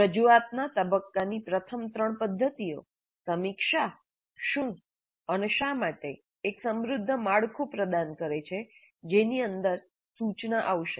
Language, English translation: Gujarati, The first three methods of presentation phase, review, what and why, provide a rich structure within which instruction will take place